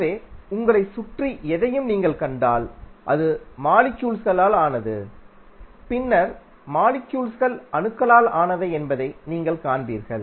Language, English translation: Tamil, So, if you see anything around you, you will see it is composed of molecules and then molecules are composed of atoms